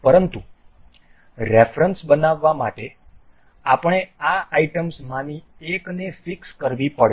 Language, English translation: Gujarati, But to make a reference we need one of the items to be fixed